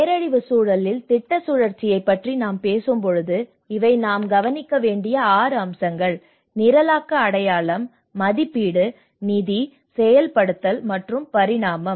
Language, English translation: Tamil, When we talk about the project cycle in the disaster context, these are the 6 aspects which we need to look at the programming, identification, appraisal, financing, implementation and evolution